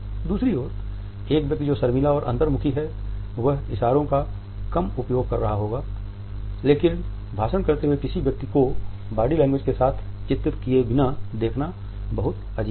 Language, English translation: Hindi, On the other hand a person who is shy and introvert would be using less gestures, but it is very strange to look at a person using a speech without illustrating it with body language